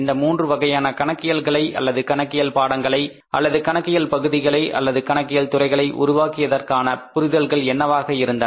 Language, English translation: Tamil, what was the use, what was the requirement, what was the understanding behind developing the three different sets of accounting or the courses of accounting or the areas of accounting or disciplines of accounting